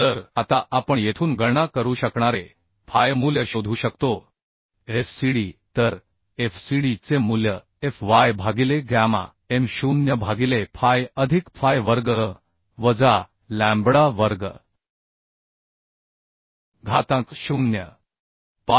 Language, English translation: Marathi, 679 right So phi value we could calculate from here now we can find out the value of fcd So fcd value will be fy by gamma m0 by phi plus phi square minus lambda square to the power 0